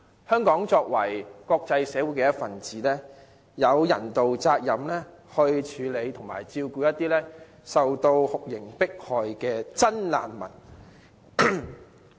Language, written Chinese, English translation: Cantonese, 香港作為國際社會一分子，有人道責任處理和照顧一些受酷刑迫害的真難民。, As a member of the international community Hong Kong has to fulfil its humanitarian obligation to deal with and cater for those genuine refugees who have fallen victims to torture